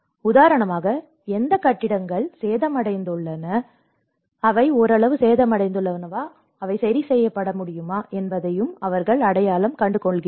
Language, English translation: Tamil, And for instance, they have also identified which of the buildings have been damaged, which are partially damaged, which could be repaired